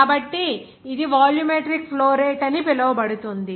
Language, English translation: Telugu, So, it will be called us volumetric flow rate